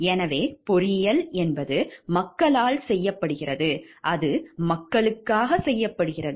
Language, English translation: Tamil, So, engineering is done by the people and it is done for the people